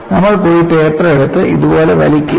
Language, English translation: Malayalam, You will not go and take the paper, and pull it like this